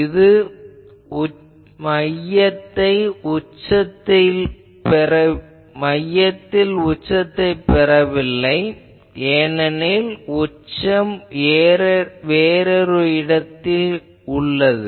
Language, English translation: Tamil, It is the maximum is not at the center first thing, because peak is somewhere else